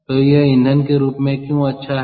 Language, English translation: Hindi, so why is it fuel